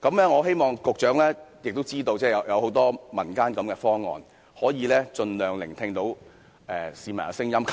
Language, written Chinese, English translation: Cantonese, 我希望局長知道民間也有很多這種方案，希望他盡量聆聽市民的聲音。, I hope the Secretary knows that many proposals like the one mentioned just now are available in the community and I hope he will listen to the opinions of the public by all means